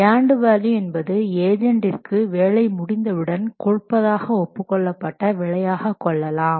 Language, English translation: Tamil, And value can be thought of as the agreed price that has to be paid to the contractor once the work is completed